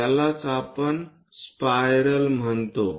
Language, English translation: Marathi, This is what we call spiral